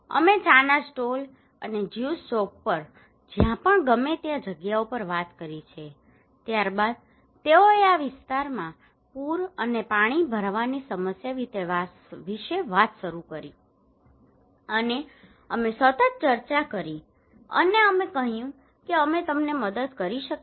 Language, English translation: Gujarati, We have chat over on tea stall and juice shop wherever whatever places we have, then they started talk about the flood and waterlogging problem in this area and we had continuous discussions and we said can we help you